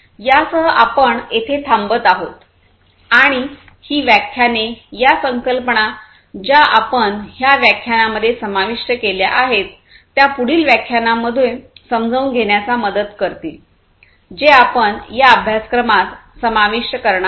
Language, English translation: Marathi, With this we stop over here and these lectures will these the concepts, that we have covered in this lecture will help in further understanding of the later lectures, that we are going to cover in this course